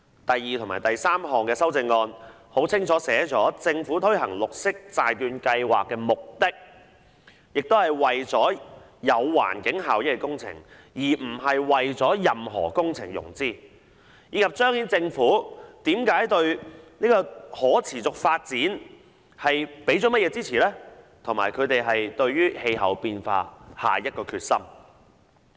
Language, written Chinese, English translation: Cantonese, 第二項和第三項修訂議案清楚訂明政府推行綠色債券計劃的目的是為了進行有環境效益的工程，而不是為任何工程融資，以及彰顯政府對可持續發展的支持和應對氣候變化的決心。, The second and third amending motions seek to stipulate clearly that the purpose of the Green Bond Programme is to finance projects with environmental benefits instead of any project so as to demonstrate the Governments support for sustainable development and determination in combating climate change